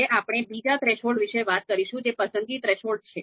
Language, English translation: Gujarati, Now let us talk about the second threshold that is preference threshold